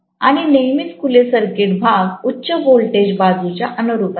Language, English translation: Marathi, And invariably the open circuited portion will correspond to high voltage side